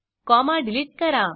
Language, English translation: Marathi, Delete the comma